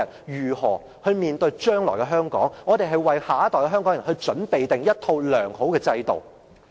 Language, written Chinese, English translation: Cantonese, 為了讓他們面對將來的香港，我們應該為下一代香港人妥善確立一套良好的制度。, To prepare them to face Hong Kong in the future we should properly establish a sound system for the next generation